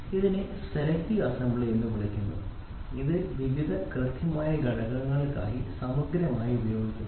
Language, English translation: Malayalam, So, this is called as selective assembly, this is exhaustively used for various precision components